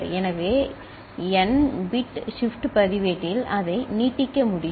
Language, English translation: Tamil, So, with n bit shift register, it can be extended